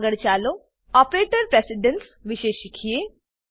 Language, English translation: Gujarati, Next, let us learn about operator precedence